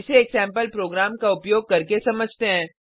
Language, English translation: Hindi, Let us understand the same using a sample program